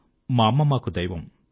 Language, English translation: Telugu, My mother is God to me